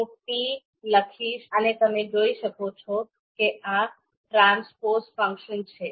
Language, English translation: Gujarati, So let’s type t and you can see this is the transpose function